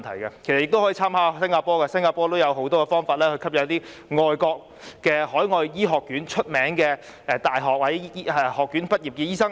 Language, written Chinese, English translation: Cantonese, 政府亦可參考新加坡的經驗，新加坡也有很多方法吸引海外著名醫學院醫科畢業生。, The Government can also draw reference to the experience of Singapore which has adopted many initiatives to attract graduates of renowned medical schools overseas